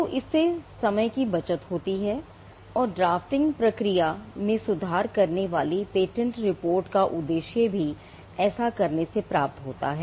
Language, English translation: Hindi, So, that time is saved and the objective of the patentability report improving the drafting process is also achieved by doing this